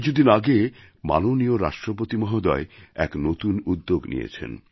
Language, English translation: Bengali, A few days ago, Hon'ble President took an initiative